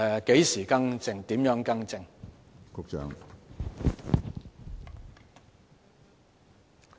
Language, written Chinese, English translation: Cantonese, 何時更改、如何更正？, When and how rectifications are to be made?